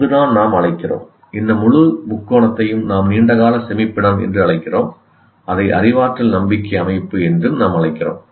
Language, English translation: Tamil, This entire, this triangle is what we call all the long term storage is a cognitive belief system